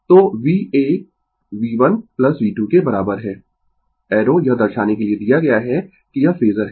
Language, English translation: Hindi, So, v A is equal to V 1 plus V 2 arrow is given to represent it is phasor